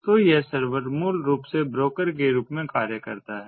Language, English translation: Hindi, so this server basically acts as a broker